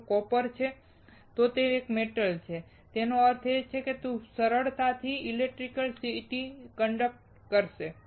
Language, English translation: Gujarati, If it is copper, then it is a metal; that means, it will conduct electricity very easily